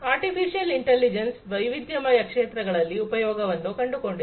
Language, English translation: Kannada, Artificial Intelligence has found use in different diverse fields